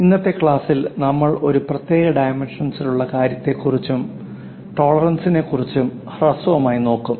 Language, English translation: Malayalam, In today's class we will briefly look at special dimensioning thing and also tolerances